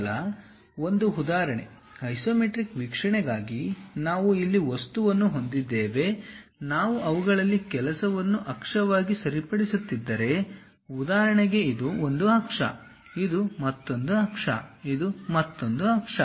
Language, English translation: Kannada, Just an example, we have an object here for isometric view; if we are fixing some of them as axis, for example, this is one axis, this is another axis, this is another axis